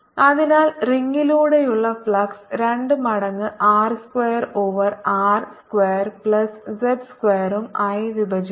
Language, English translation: Malayalam, so flux through the ring divided by two times r square over r square, plus z square, raise to three by two